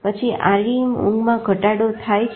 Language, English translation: Gujarati, The REM increases